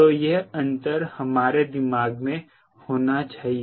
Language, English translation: Hindi, so these distinction should be in our mind